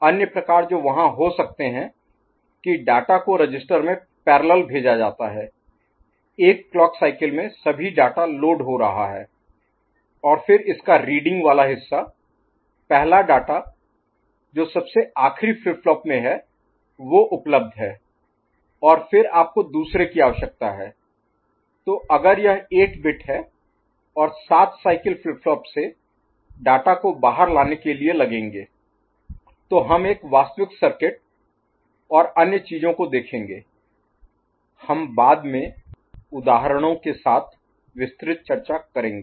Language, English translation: Hindi, The other type that can be there that data is sent to the register parallel; in one clock cycle all the data is getting loaded unlike the previous case and then the the reading part of it, the first data that is in the endmost flip flop that is available and then you need another, say if it is 8 bit, so another 7 cycle to push data out of the flip flops we shall see actual circuit and other things, we shall discuss elaborately later with examples